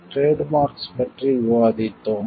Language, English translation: Tamil, We have discussed about trademarks